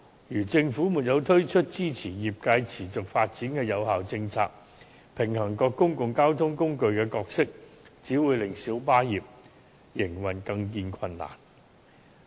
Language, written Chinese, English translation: Cantonese, 如果政府沒有推出支持業界持續發展的有效政策，平衡各公共交通工具的角色，只會令小巴業的營建更見困難。, If the Government does not introduce effective policies to support the trades sustainable development and strike a balance among the roles of various modes of public transport this will only exacerbate the operational difficulties of the minibus trade